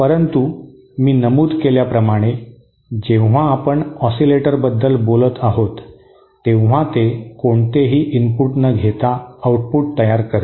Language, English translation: Marathi, But then as I mentioned, when we are talking about oscillators, it produces an output without any input